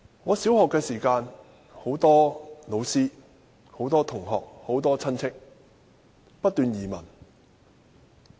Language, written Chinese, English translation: Cantonese, 我讀小學時，很多老師、同學和親戚移民。, When I was in primary school many of my teachers schoolmates and relatives emigrated